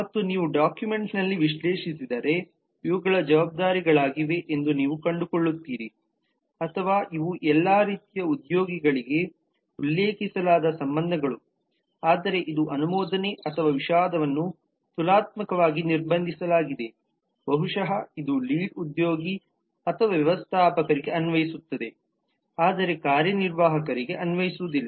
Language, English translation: Kannada, and if you analyze on the document you will find that these are the responsibilities or these are the relations that have been mentioned for all kinds of employees whereas maybe this is approve or regret is relatively restricted maybe it just applies to lead or manager, but does not apply to executive